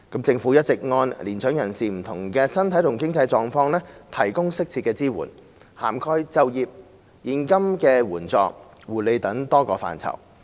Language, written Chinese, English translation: Cantonese, 政府一直按年長人士不同的身體和經濟狀況，提供適切支援，涵蓋就業、現金援助、護理等多個範疇。, The Government has all along provided mature persons with suitable support according to their different physical and financial conditions covering such areas as employment cash assistance and care services